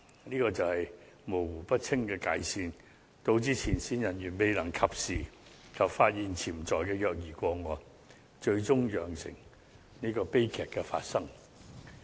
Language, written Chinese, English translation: Cantonese, 這就是界線模糊不清，導致前線人員未能及時發現潛在的虐兒個案，最終釀成悲劇發生。, It was due to this unclear boundary that frontline staff failed to detect potential child abuse cases which led to tragedies eventually